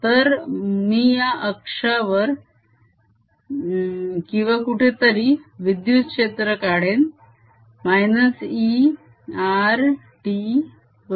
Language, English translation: Marathi, so i calculate the electric field here on the axis or anywhere e r t is going to be